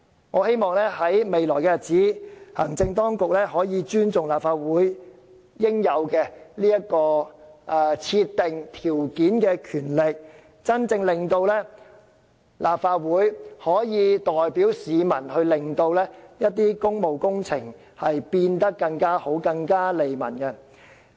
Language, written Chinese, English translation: Cantonese, 我希望未來日子，行政當局可以尊重立法會應有的設定條件的權力，令立法會真正可以代表市民，使一些工務工程變得更完善、更利民。, I wish that in future the executive authorities would respect the Legislative Councils power to impose additional conditions on public works so as to allow the Legislative Council to truly represent Hong Kong people and to improve public works for the benefits of the Hong Kong people